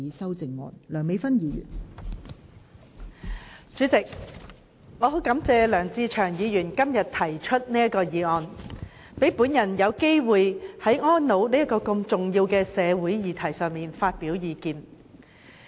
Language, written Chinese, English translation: Cantonese, 代理主席，很感謝梁志祥議員今天提出這項有關"跨境安老"的議案，讓我有機會就安老這項重要社會議題發表意見。, Deputy President I thank Mr LEUNG Che - cheung very much for moving this motion on Cross - boundary elderly care today so that I can have a chance to express my views on such an important social issue as elderly care